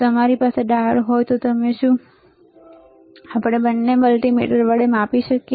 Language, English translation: Gujarati, If we have a diode, can we measure with both the multimeters